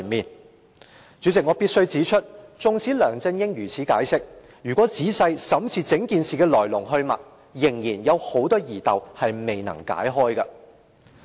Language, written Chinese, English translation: Cantonese, 代理主席，我必須指出，縱使梁振英如此解釋，但如果仔細審視整件事的來龍去脈，仍然有很多疑竇未能解開。, Deputy President despite LEUNG Chun - yings explanation I must point out that if one looks carefully into the ins and outs of the incident there are still many questions unanswered